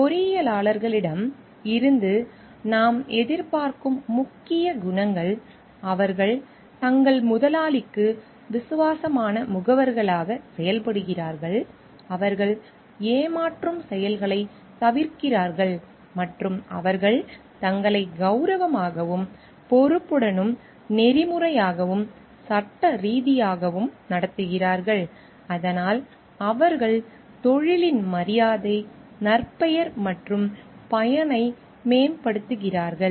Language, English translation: Tamil, These are important qualities that we expect from engineers like they act as faithful agents for their employer, they avoid deceptive acts and they conduct themselves honorably, responsibly, ethically and lawfully, so that they enhance the honor, reputation and usefulness of the profession